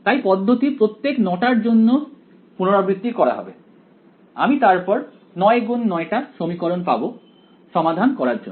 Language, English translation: Bengali, So, the procedure would be repeat for all 9, I get a 9 by 9 equation to solve for ok